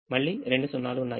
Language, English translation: Telugu, the first column again has two zeros